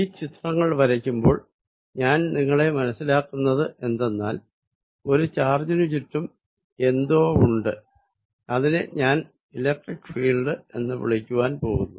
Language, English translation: Malayalam, So, by making these pictures, what I am making you feel is that, something exists around a given charge and that is what I am going to call electric field